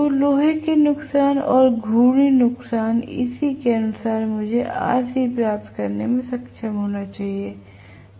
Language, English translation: Hindi, So, iron losses and rotational losses corresponding to this I should be able to get what is rc, right